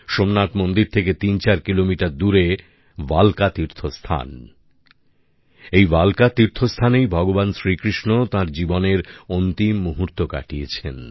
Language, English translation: Bengali, 34 kilometers away from Somnath temple is the Bhalka Teerth, this Bhalka Teerth is the place where Bhagwan Shri Krishna spent his last moments on earth